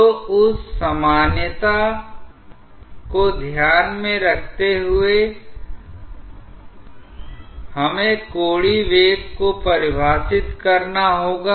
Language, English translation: Hindi, So, keeping that generality in mind, we have to define the angular velocity